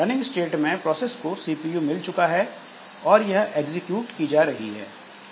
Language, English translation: Hindi, So, in the running state, so process has got the CPU and it is executing it